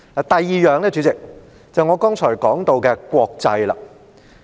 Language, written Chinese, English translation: Cantonese, 第二，主席，是我剛才提到的"國際"。, Secondly President it concerns the term international which I just mentioned